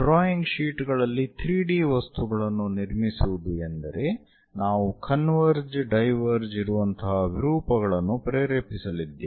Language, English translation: Kannada, Constructing 3 D objects on drawing sheets means we are going to induce aberrations like converging diverging kind of things